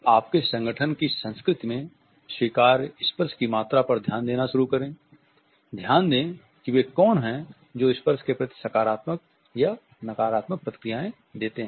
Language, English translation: Hindi, Start paying attention to the amount of touching that is acceptable in your organizations culture, notice who the touches are and the positive or negative responses they